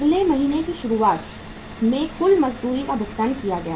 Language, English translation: Hindi, Total wages paid at the beginning of the next month